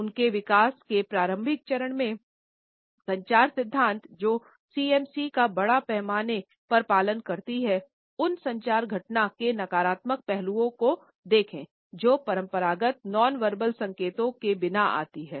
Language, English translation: Hindi, At an early stage of their development, the communication theories which tend to address CMC by and large looked at the negative aspects of a communication event, which is occurring without traditional nonverbal cues